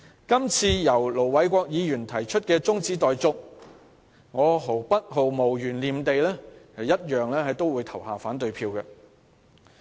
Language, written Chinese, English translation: Cantonese, 今次由盧偉國議員提出的中止待續議案，我毫無懸念也會表決反對。, I will also vote against the adjournment motion moved by Ir Dr LO Wai - kwok without hesitation this time